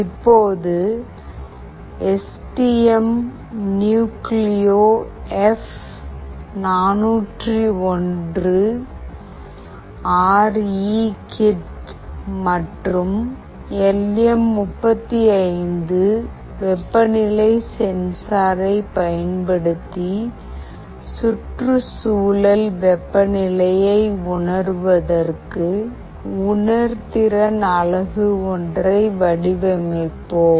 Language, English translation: Tamil, Now we will design a temperature sensing unit using STM Nucleo F401RE kit and LM35 temperature sensor to sense the environmental temperature and display it in the centigrade scale on a LCD display unit